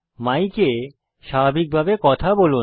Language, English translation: Bengali, Speak normally into the microphone